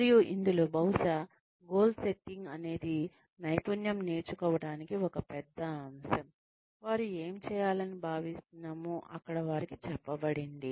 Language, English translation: Telugu, And in this, they maybe, goal setting is one big ingredient of skill learning, where they are told, what they are expected to do